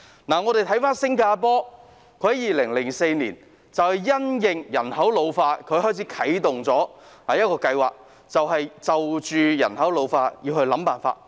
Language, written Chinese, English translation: Cantonese, 我們再看新加坡，他們在2004年因應人口老化啟動了一項計劃，就人口老化問題想辦法。, Let us look at the situation in Singapore again . In 2004 they launched a programme in response to the ageing population to find solutions to the problem of an ageing population